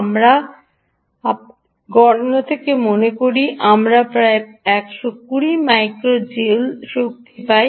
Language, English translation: Bengali, we think from our calculations we get about hundred and twenty micro joules of energy